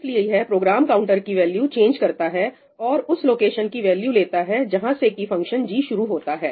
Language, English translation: Hindi, So, that causes the Program Counter to change and get the value which is the location where the function g starts from